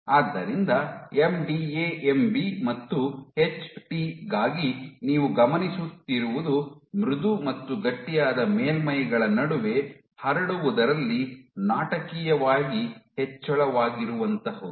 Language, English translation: Kannada, So, for MDA MB and HT what you observe is a dramatic increase in spreading between soft and stiff surfaces